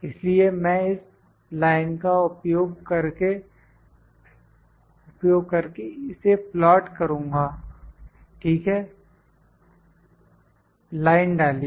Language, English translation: Hindi, So, I am going to plot this using the line, ok, insert line